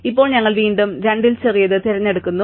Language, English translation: Malayalam, Now, we again pick the smaller of the two